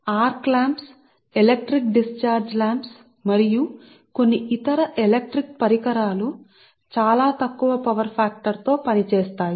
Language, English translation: Telugu, then arc lamps, electric discharge lamps and some other electric equipments operate at very low power factor right